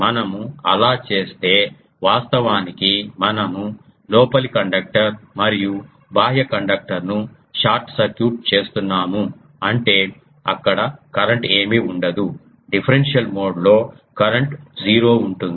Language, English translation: Telugu, If we do that actually we are short circuiting the inner conductor and outer conductor; that means, there won't be any current in the differential mode current will be zero0